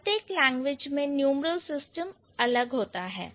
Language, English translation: Hindi, So, the numeral system, it varies from language to language